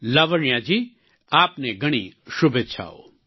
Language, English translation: Gujarati, Lavanya ji many congratulations to you